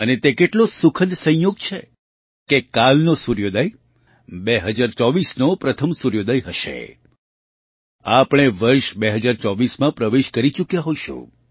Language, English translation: Gujarati, And what a joyous coincidence it is that tomorrow's sunrise will be the first sunrise of 2024 we would have entered the year 2024